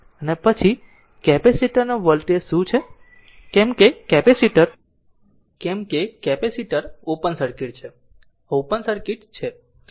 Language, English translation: Gujarati, And then what is the voltage across the capacitor, because capacitor is open circuit, this is open circuit